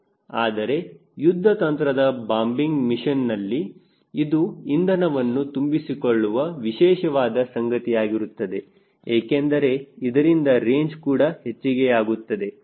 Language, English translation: Kannada, right, but for a strategy bombing mission, this is very the important part is that refueling so that you can have an extended range